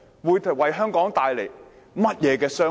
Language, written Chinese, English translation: Cantonese, 會為香港帶來甚麼傷害？, What harms will it do to Hong Kong?